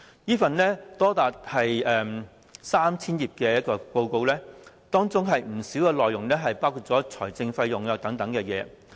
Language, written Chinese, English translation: Cantonese, 這份長達 3,000 頁的報告，當中不少內容涉及財政費用等資料。, The Study Report 3 000 pages in length contains a lot of information involving financial costs